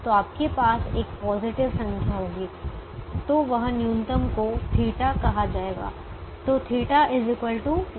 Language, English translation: Hindi, so you will have a positive number, so that minimum is called theta